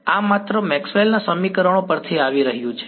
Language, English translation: Gujarati, This is just coming from Maxwell’s equations right